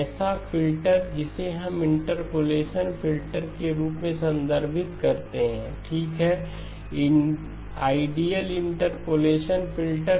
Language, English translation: Hindi, Such a filter we would referred to as our interpolation filter, okay, ideal interpolation filters